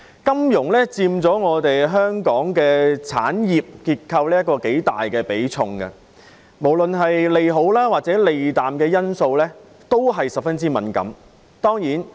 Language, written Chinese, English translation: Cantonese, 金融業在香港的產業結構中佔頗大比重，無論是對利好還是利淡的因素也十分敏感。, The financial industry which forms a significant share in our industrial structure is very sensitive to both favourable and unfavourable factors